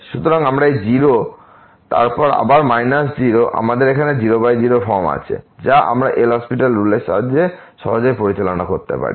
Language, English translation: Bengali, So, we have here 0 by 0 form which we can easily handle with the help of L’Hospital rule